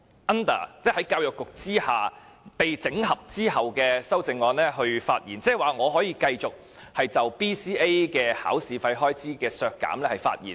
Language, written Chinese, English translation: Cantonese, 但是，我就教育局被整合後的修正案發言時，應該可以就削減 BCA 的預算開支發言。, But when I speak on the consolidated amendments concerning the Education Bureau I should be allowed to speak specifically on deducting the estimated expenditures on BCA right?